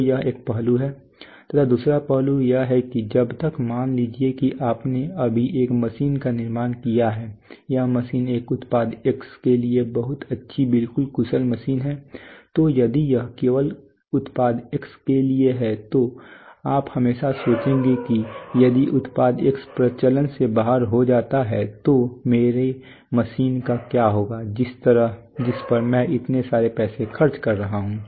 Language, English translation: Hindi, So unless you have that is one aspect second aspect is that unless suppose you have built a machine now if the machine is machine very good fantastic absolutely efficient for a product X now you if it is only meant for Product X then you will always think in this volatile market that suppose product X goes out of fashion what is going to happen to my machine I am spending so many so much money on it